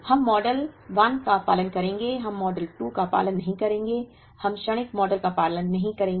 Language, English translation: Hindi, We will follow model 1, we will not follow model 2, we will not follow the transient model